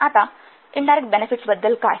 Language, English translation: Marathi, Now what is about indirect benefits